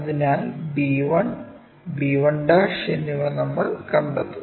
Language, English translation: Malayalam, So, b' line we project it to get b 1'